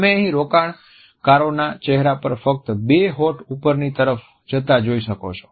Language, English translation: Gujarati, What you see here on the investors face is just the two lips going upwards